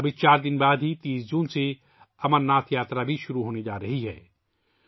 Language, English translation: Urdu, Just 4 days later,the Amarnath Yatra is also going to start from the 30th of June